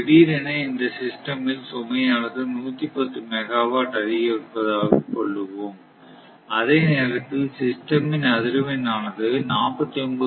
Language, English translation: Tamil, So, all of a sudden system load increase to 110 megawatt and as a result the frequency drops to 49